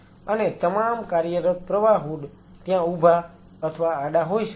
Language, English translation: Gujarati, And all the work flow hood it could be either vertical or horizontal